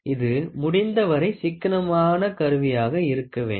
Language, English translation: Tamil, It should be as economical as possible